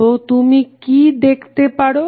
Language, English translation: Bengali, So, what you can see